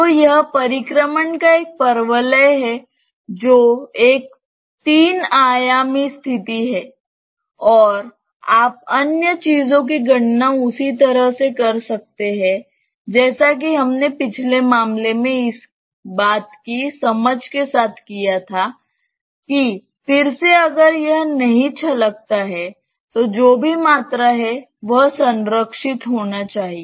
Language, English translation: Hindi, So, it is a parabola of revolution is a 3 dimensional situation and you can calculate the other things just similar to what we did in the previous case with an understanding of what that again if it does not spill whatever was the volume that should be conserved